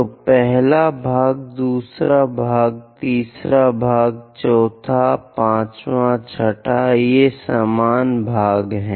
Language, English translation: Hindi, So, first part, second part, third part, fourth, fifth, sixth these are equal parts